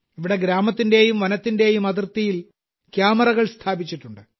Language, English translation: Malayalam, Here cameras have been installed on the border of the villages and the forest